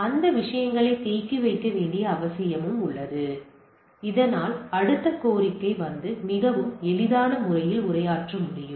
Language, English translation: Tamil, So, there is a need of caching of those things so that the next request comes and can be addressed in a much easier fashion